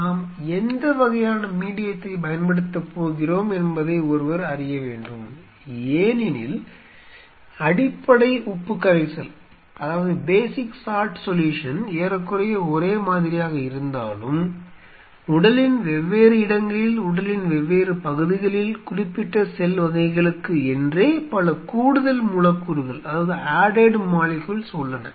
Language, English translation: Tamil, Now, 2 things; we are introducing one has to know what kind of medium, we are going to use because though the basic salt solution remain more or less same, but at different spots of the body different parts of the body, there are several other added molecules for specific cell types, these are cell type is specific you might wonder, how that is happening